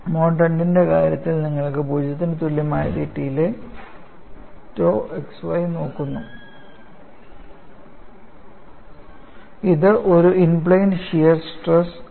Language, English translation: Malayalam, ; Iin the case of Mode 3, you are going to look at tau yz, at theta equal to 0, which is the out of plane shear stress;